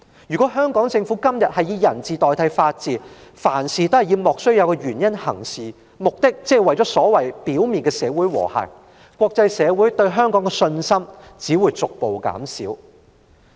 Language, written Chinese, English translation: Cantonese, 如果香港政府以人治代替法治，或以莫須有的原因行事，目的只是為了表面的社會和諧，國際社會只會逐步對香港失去信心。, If the Hong Kong Government replaces the rule of law with the rule of man or acts on trumped - up reasons for attaining apparent social harmony the international society will gradually lose confidence in Hong Kong